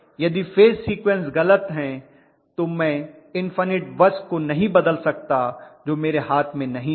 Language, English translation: Hindi, If the phase sequences are wrong, then I cannot change the infinite bus that is not in my hand